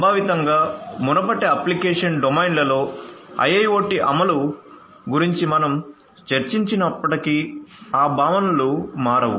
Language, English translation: Telugu, Conceptually whatever we have discussed about the implementation of IIoT in the previous application domains, those concepts will not change